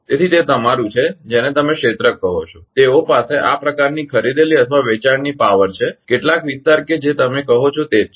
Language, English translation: Gujarati, So, it is your what you call areas they have some buying or selling power like this right some some area that is your what you call